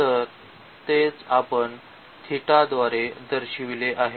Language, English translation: Marathi, So, that is we have denoted by theta